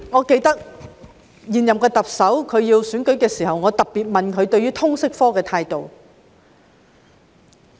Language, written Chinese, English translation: Cantonese, 記得在現任特首參選時，我曾特別問她對通識科的態度。, I remember when the incumbent Chief Executive was running for office I asked her specifically about her attitude towards the LS subject